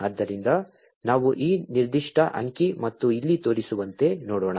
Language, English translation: Kannada, So, let us look at this particular figure and as shown over here